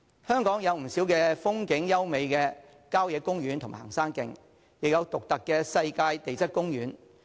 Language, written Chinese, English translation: Cantonese, 香港有不少風景優美的郊野公園和行山徑，亦有獨特的世界地質公園。, In Hong Kong there are many scenic country parks and hiking trails and there is also a unique world geopark